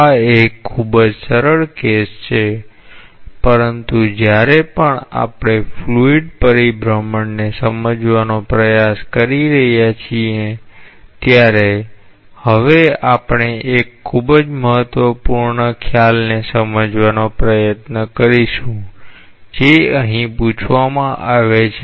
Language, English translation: Gujarati, Again, this is a very simple case to talk about, but whenever we are trying to understand the fluid rotation, we will now try to understand a very important concept which is asked in this particular problem